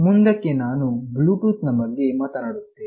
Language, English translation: Kannada, Let me very briefly talk about Bluetooth